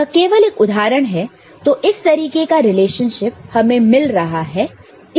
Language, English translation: Hindi, This is just an example say, this kind of relationship you are getting